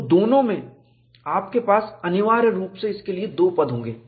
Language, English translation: Hindi, So, both, you will have essentially 2 terms for this